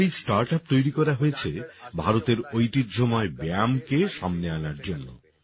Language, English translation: Bengali, Our startup has been created to bring forward the traditional exercises of India